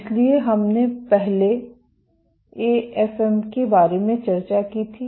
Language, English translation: Hindi, So, we had previously discussed about AFM